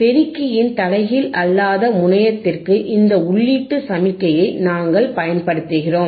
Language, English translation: Tamil, We apply this input signal to the non inverting terminal of the amplifier